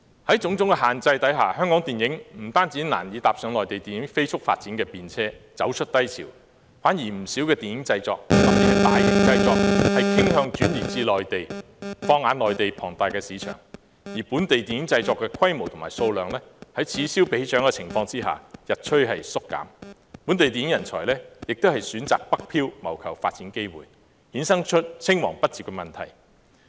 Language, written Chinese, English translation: Cantonese, 在種種限制下，香港電影不單難以搭上內地影業飛速發展的便車，走出低潮，相反不少電影製作特別是大型製作傾向轉移至內地，放眼內地龐大的市場，而本地電影製作的規模和數量，在此消彼長的情況下日趨縮減，本地電影人才也選擇北漂謀求發展機會，衍生出青黃不接的問題。, Subjected to various restrictions it is difficult for Hong Kong films to turn the corner by riding on the rapid development of the Mainland film industry . On the contrary many film productions especially large - scale ones tend to shift to the Mainland and focus on the huge Mainland market . Upon comparison the scale and volume of local film productions are gradually shrinking